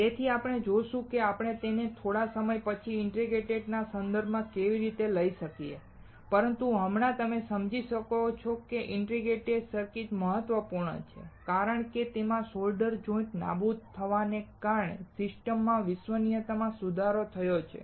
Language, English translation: Gujarati, So, we will see; how we can take this into context of integrated circuit sometime later, but right now you understand that why the integrated circuits are important, because it has improved system reliability to due to the elimination of solder joints